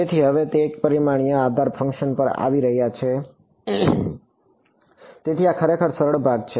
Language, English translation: Gujarati, So, now coming to one dimensional basis functions so, this is really easy part